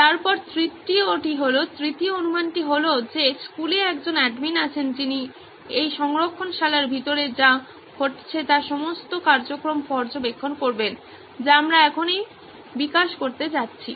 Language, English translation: Bengali, Then three is, assumption three is that there is an admin in the school who will be monitoring all the activities that would be happening inside this repository what we are going to develop right now